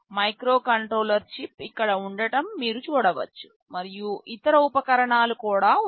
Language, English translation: Telugu, And you can see the microcontroller chip sitting here, and there are other accessories